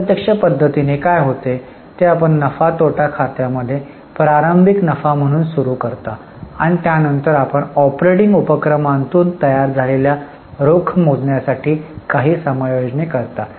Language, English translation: Marathi, In indirect method what happens is you start with profit as a starting point from P&L account and then you make certain adjustments to calculate the cash which is generated from operating activities